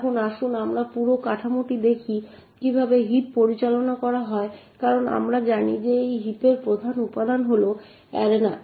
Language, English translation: Bengali, Now let us look at the whole structure of how the heap is managed as we know the main component in the heap is the arena